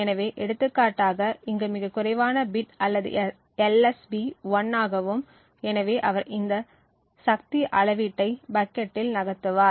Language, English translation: Tamil, So, for example over here the least significant bit is 1 and therefore he would move this power measurement into the bucket 1